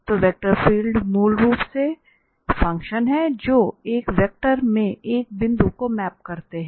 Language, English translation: Hindi, So, these vector field are these functions basically that map a point in a space to a vector